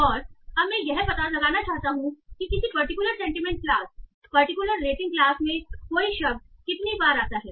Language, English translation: Hindi, And now I want to find out how often a word occurs in a particular sentiment class, a particular rating class